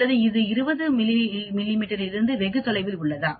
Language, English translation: Tamil, Or is it very far away from 20 mm